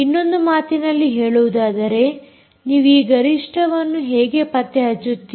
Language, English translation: Kannada, so, in other words, peak, how do you detect these peaks